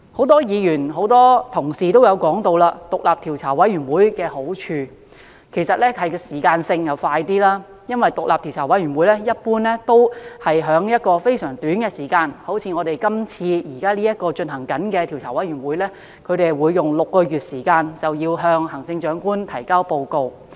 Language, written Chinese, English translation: Cantonese, 多位議員和同事均提到，獨立委員會的好處是可以較快完成工作，因為獨立調查委員會一般會在非常短的時間內完成調查，例如現正展開工作的調查委員會，便會在6個月內向行政長官提交報告。, Quite a number of Members and colleagues have mentioned the merit of the Commission being its work can be completed in a more expeditious manner . It is because an independent commission of inquiry normally has to complete an inquiry within a rather short period of time . For instance the current Commission is tasked to submit a report to the Chief Executive within six months